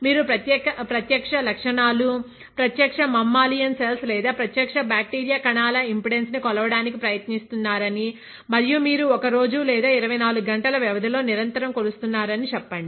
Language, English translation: Telugu, Let us say you are trying to measure the impedance of live cells, live mammalian or cells live bacterial cells and you are continuously measuring it over a period of 1 day or 24 hours